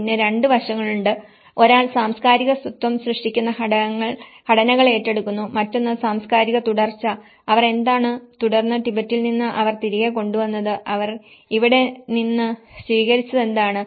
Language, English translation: Malayalam, And then there are 2 aspects; one is taking the structures that create cultural identity and one is the cultural continuity, what they have continued, what they have brought back from Tibet and what they have adapted here